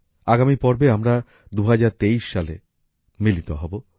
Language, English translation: Bengali, Next time we will meet in the year 2023